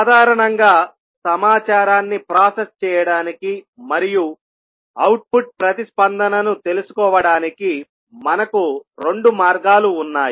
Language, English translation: Telugu, So, basically we have two ways to process the information and a find finding out the output response